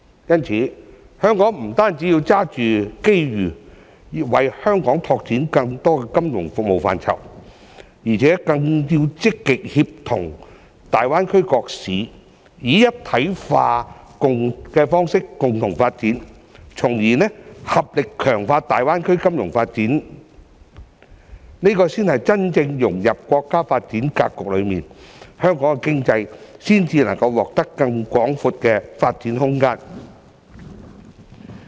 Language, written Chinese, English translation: Cantonese, 因此，香港不止要抓住機遇，為香港拓展更多金融服務範疇，更要積極協同大灣區各市，以"一體化"方式共同發展，從而合力強化大灣區金融發展，這才是真正融入國家發展格局中，香港經濟才能獲得更廣闊的發展空間。, For this reason not only should Hong Kong seize the opportunity to expand the scope of its financial services but it should also actively collaborate with other cities in the Greater Bay Area to develop together in an integrated manner so as to strengthen the financial development of the Greater Bay Area . This is the only way to truly integrate into the national development paradigm so that Hong Kongs economy can have a broader scope of development